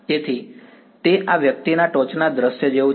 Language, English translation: Gujarati, So, it is like a top view of this guy